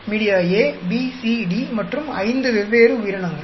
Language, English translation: Tamil, Media A, B, C, D and five different organisms